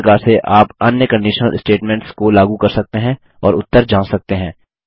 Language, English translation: Hindi, In the same manner, you can apply other conditional statements and study the results